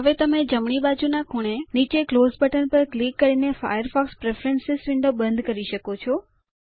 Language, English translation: Gujarati, Now you can close Firefox Preference window by clicking the Close button on the bottom right hand corner